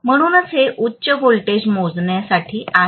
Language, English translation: Marathi, So essentially this is for measuring high voltages, right